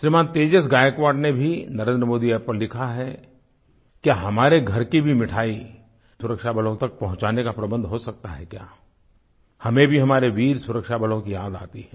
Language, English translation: Hindi, Shriman Tejas Gaikwad has also written on NarendramodiApp whether there could be an arrangement to send our homemade sweets to the security forces